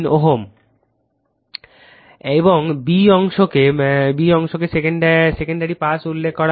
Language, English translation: Bengali, Now, B part is referred to the secondary side